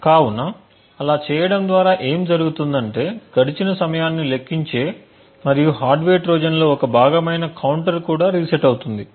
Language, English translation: Telugu, So, by doing so what would happen is that the counter which is counting the time elapsed and is part of the hardware Trojan would also get reset